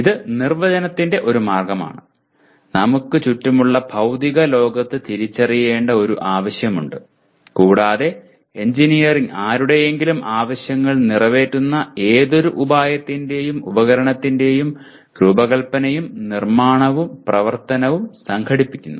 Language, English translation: Malayalam, This is one way of definition that there is a need that is identified in the physical world around us and engineering is organizing the design and construction and operation of any artifice that meets the requirement of somebody